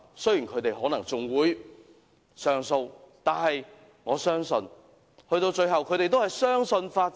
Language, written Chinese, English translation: Cantonese, 雖然他們可能還會上訴，但我相信最後他們仍然相信法治。, Though they may file an appeal I believe they still trust the rule of law in the end